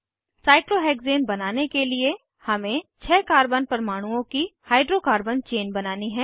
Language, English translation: Hindi, To create cyclohexane, we have to make a hydrocarbon chain of six carbon atoms